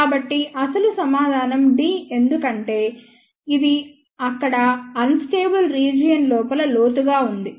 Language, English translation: Telugu, So, the actual answer is d because, this is deep inside the unstable region here